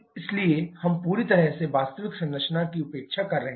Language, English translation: Hindi, So, we are completely neglecting the actual composition